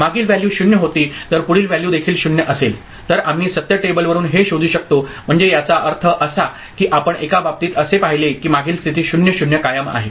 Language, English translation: Marathi, We can figure it out from the truth table if previous value was 0 and next value is also 0 ok, so that means, in one case we can see that previous state is retained 0 0 right